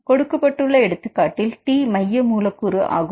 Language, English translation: Tamil, In this case for example, if T is the central residue